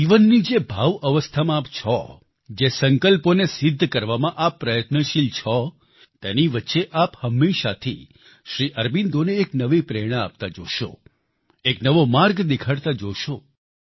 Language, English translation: Gujarati, The state of inner consciousness in which you are, where you are engaged in trying to achieve the many resolves, amid all this you will always find a new inspiration in Sri Aurobindo; you will find him showing you a new path